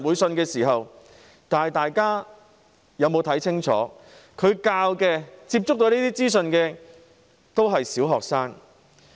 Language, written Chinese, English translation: Cantonese, 大家清楚看到，他們所教導的、接觸這些資訊的都是小學生。, As we can clearly see those who were taught by them and exposed to such information are all primary school students